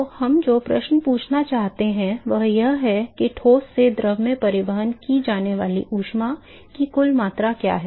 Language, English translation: Hindi, So, the question we want to ask is what is the net amount of heat that is transported from the solid to the fluid